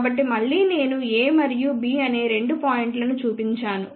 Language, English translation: Telugu, So, again I have just shown two points A and B